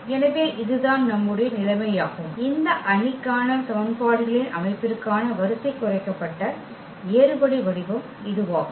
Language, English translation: Tamil, So, this is the situation, this is the row reduced echelon form for the system of equations for this matrix